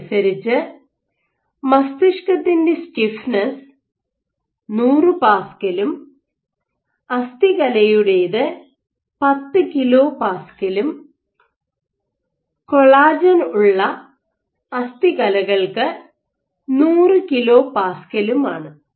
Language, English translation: Malayalam, So, brain being 100s of pascals to muscle order 10 kPa to bone collagen is bone order 100 kPa